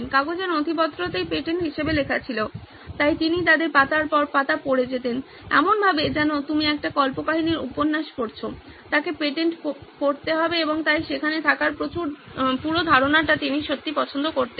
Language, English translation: Bengali, Paper documents were the patents to written as, so he would go through them page by page as if you are reading a fiction novel, he would read through patents and he would really love the whole idea of being there